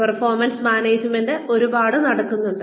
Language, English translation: Malayalam, Performance management has a lot going on